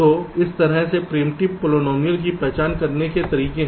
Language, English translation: Hindi, so there are ways to identify ah, this, this kind of primitive polynomials